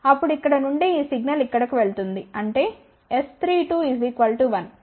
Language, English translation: Telugu, Then this signal from here it will go to here , that means, S 3 2 is equal to 1